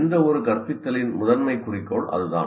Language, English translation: Tamil, That is the major goal of any instruction